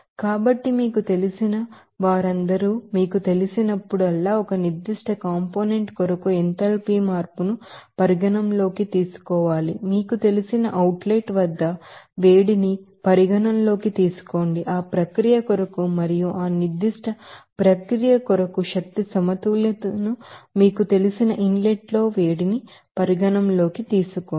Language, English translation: Telugu, So, all those you know, enthalpy change to be considered for a particular component whenever you are going to you know consider heat at an outlet you know components or inlet components they are for that process and also for the you know energy balance for that particular process